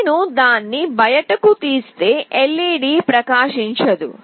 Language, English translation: Telugu, If I take it out, it is not glowing